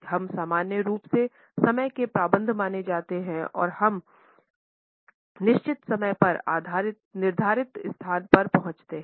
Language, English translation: Hindi, We are normally considered to be punctual when we arrive at the designated place at the given time